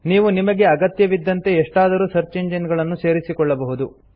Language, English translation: Kannada, You can add any of the search engines according to your requirement